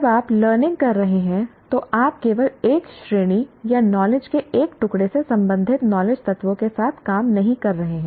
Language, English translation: Hindi, When you are learning, you are not dealing with knowledge elements belonging to only one category or one piece of knowledge